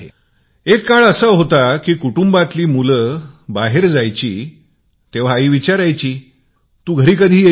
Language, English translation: Marathi, There was a time when the children in the family went out to play, the mother would first ask, "When will you come back home